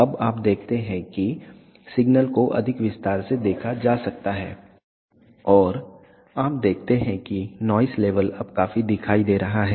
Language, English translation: Hindi, Now, you see that the signal can be observed in more detail and you see that the noise level is quite visible now